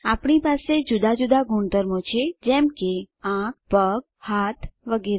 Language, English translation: Gujarati, We all have different properties like eyes, legs, hands etc